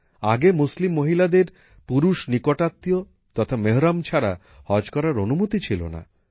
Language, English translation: Bengali, Earlier, Muslim women were not allowed to perform 'Hajj' without Mehram